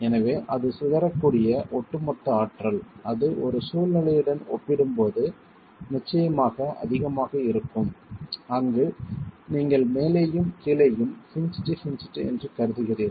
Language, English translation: Tamil, So, the overall energy that it can dissipate is definitely higher than compared to a situation where you are assuming hinged hinge at the top and the bottom